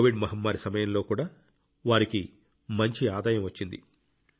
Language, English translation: Telugu, They had good income even during the Covid pandemic